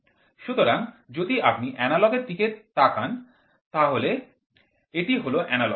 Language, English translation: Bengali, So, if you see analogous, this is analogous